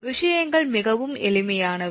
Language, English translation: Tamil, Things are very simple